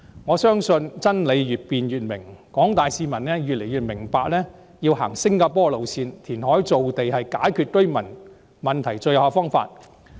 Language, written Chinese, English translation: Cantonese, 我相信真理越辯越明，廣大市民越來越明白，要走新加坡的路線，填海造地是解決居住問題的最有效方法。, I believe the more the truth is debated the clearer it becomes . The community at large has come to understand the need to adopt the practice of Singapore . Reclamation for creation of land is the most effective way to resolve the housing problem